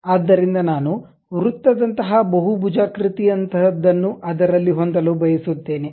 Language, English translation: Kannada, So, I would like to have something like circle, something like polygon